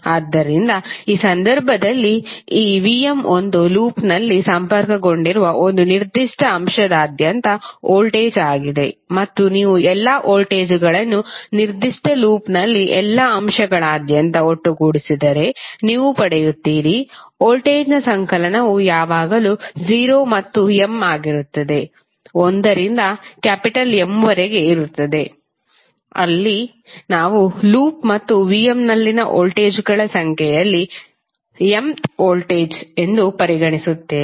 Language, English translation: Kannada, So, in this case, this V¬m¬ is the voltage across a particular element connected in a loop and if you sum up all the voltages in a particular loop across all the elements then you will get, the summation of voltage would always be 0 and m where is from 1 to M, where M in number of voltages in the loop and V¬m¬ ¬that we have considered as the mth voltage